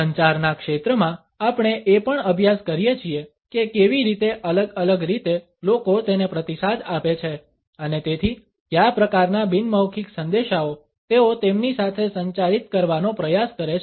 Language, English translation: Gujarati, In the area of communication we also study how in different ways people respond to it and thereby what type of nonverbal messages they try to communicate with it